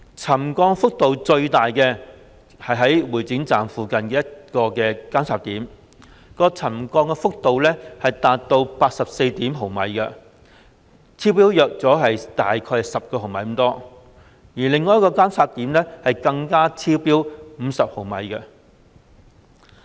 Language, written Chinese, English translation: Cantonese, 沉降幅度最大的是會展站附近的一個監測點，沉降幅度達 84.1 毫米，超標約10毫米，另一個監測點更超標50毫米。, The highest settlement level was recorded by a monitoring point near the Exhibition Centre Station . The settlement level reached 84.1 mm exceeding the trigger level by about 10 mm . Another monitoring point even recorded an exceedance of 50 mm